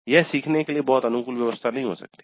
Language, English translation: Hindi, That may not be very conducive for learning